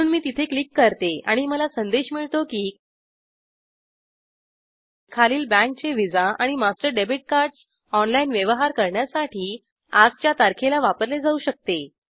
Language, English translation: Marathi, So let me click here and i get the the message that the following banks visa / master debit cards can be used to make online transaction as on date